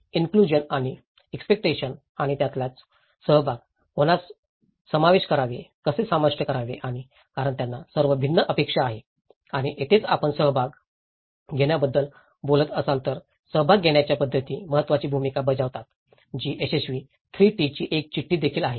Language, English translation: Marathi, Inclusion and expectations and that is where the participation, whom to include, how to include and because they have all different expectations and this is where the participatory methods play an important role if you are talking about participation that there is also a note of successful 3 T’s